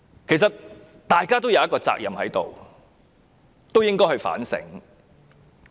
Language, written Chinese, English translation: Cantonese, 其實，大家皆有責任，應該反省。, Actually we should all be responsible one way or another and we should do some reflection